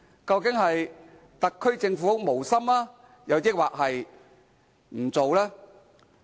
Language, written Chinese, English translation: Cantonese, 究竟特區政府是無心，還是不做？, Is this because the SAR Government is insincere or is reluctant to take any action?